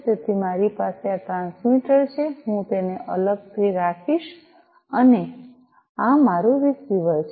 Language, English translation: Gujarati, So, I have this transmitter I will keep it separately and this is my receiver